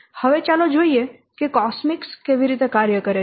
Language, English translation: Gujarati, Now let's see how Cosmix does work